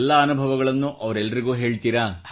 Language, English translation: Kannada, Do you share all your experiences with them